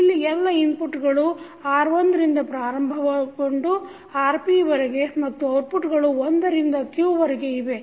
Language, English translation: Kannada, Where all multiple inputs starting from R1 to Rp and outputs are from 1 to q